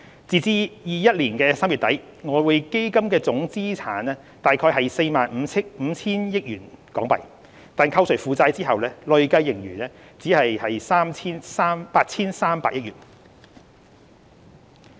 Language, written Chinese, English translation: Cantonese, 截至2021年3月底，外匯基金的總資產約為 45,000 億港元，但扣除負債後，累計盈餘只有約 8,300 億港元。, As at the end of March 2021 the total assets of EF stood at about HK4,500 billion . The accumulated surplus of EF however only amounted to about HK830 billion after taking into account its liabilities